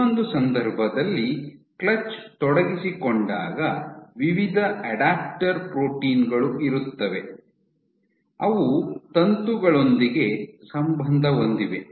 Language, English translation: Kannada, In the other case when you have clutch is engaged, you have various adapter proteins which linked with the filament